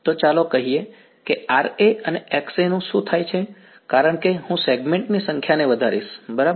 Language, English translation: Gujarati, So, let me look at what happens to Ra and Xa as I increase the number of segments right